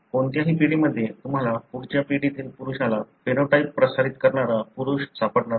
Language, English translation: Marathi, In any of the generation you will not find a male transmitting the phenotype to a male in the next generation